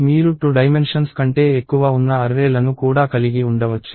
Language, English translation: Telugu, You could also have arrays, which are more than 2 dimensions